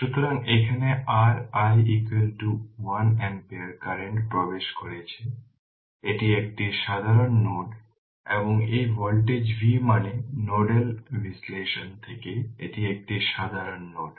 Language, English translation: Bengali, So, here your i is equal to 1 ampere current is entering this is a common node and this voltage V means from nodal analysis this is a common node